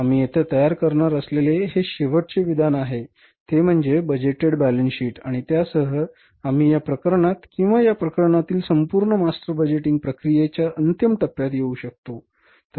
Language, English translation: Marathi, Last statement we are going to prepare here is that is the budgeted balance sheet and with that we will be able to come to the end of the complete master budgeting process in this case or for this case